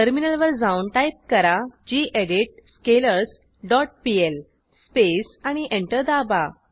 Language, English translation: Marathi, Switch to terminal and type gedit scalars dot pl space and press Enter